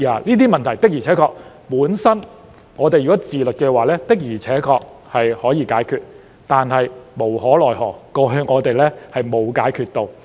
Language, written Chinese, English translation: Cantonese, 如果議員自律的話，本應可以解決這些問題；但無可奈何，我們過去沒有解決到。, If Members had exercised self - discipline these problems could have been resolved; but disappointingly we have not resolved them in the past